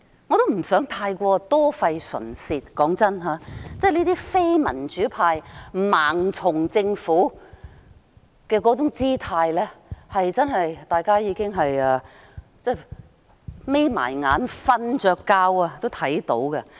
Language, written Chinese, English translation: Cantonese, 我也不想太過多費唇舌，坦白說，這些非民主派盲從政府的姿態，即使大家閉上眼睛睡着了也能看到。, I do not want to talk too much . Frankly speaking these non - democrats blindly follow the Governments stance . We can see it even asleep with our eyes closed